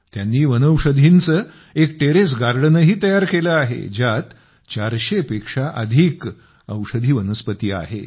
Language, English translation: Marathi, She has also created a herbal terrace garden which has more than 400 medicinal herbs